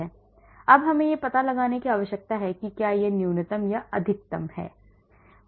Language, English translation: Hindi, Now I need to find out whether this is a minimum or a maximum